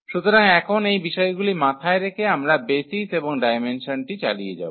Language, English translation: Bengali, So, keeping these facts in mind now we will continue with the definitions of the basis and the dimensions